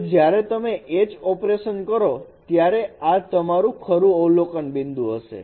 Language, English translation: Gujarati, So when you perform this you perform H operation